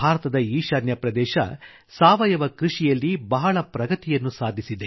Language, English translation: Kannada, North east is one region that has made grand progress in organic farming